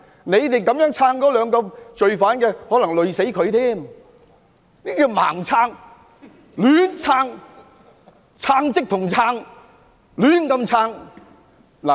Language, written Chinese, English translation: Cantonese, 你們支持這兩名罪犯，可能會連累他們，這是"盲撐"、"亂撐"，撐即同撐，胡亂支持。, Your support to these two criminals may implicate them . This is blind support random support . You people are giving support together or support for no reason